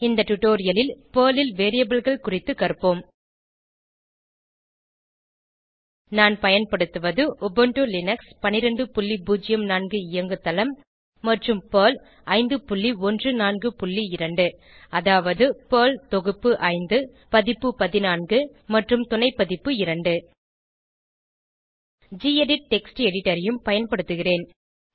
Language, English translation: Tamil, In this tutorial, we will learn about Variables in Perl I am using Ubuntu Linux12.04 operating system and Perl 5.14.2 that is, Perl revision 5 version 14 and subversion 2 I will also be using the gedit Text Editor